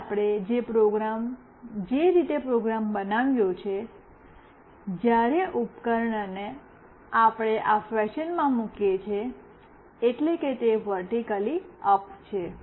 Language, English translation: Gujarati, Now, the way we have made the program, when we place the device in this fashion meaning it is vertically up